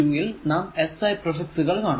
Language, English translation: Malayalam, 2 it is actually will see that the SI prefixes